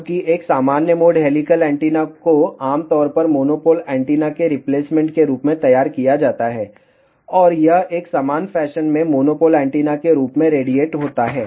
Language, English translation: Hindi, Whereas, in normal mode helical antenna is generally designed as a replacement of monopole antenna and it radiates in a similar fashion as that of monopole antenna